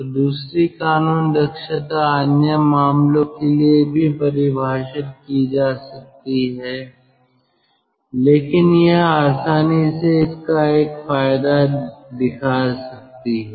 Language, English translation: Hindi, so second law efficiency, of course, can be defined for other cases also, ah, but this is readily one can show one advantage of this